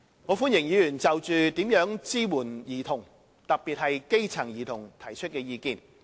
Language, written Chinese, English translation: Cantonese, 我歡迎議員就如何支援兒童——特別是基層兒童——提出意見。, Members are welcome to make suggestions on ways to support children especially grass - roots children